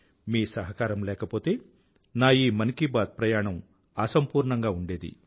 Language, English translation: Telugu, Without your contribution and cooperation, this journey of Mann Ki Baat would have been incomplete